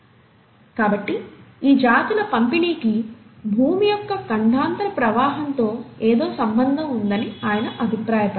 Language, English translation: Telugu, So he felt that this distribution of species has got something to do with the continental drift of the earth itself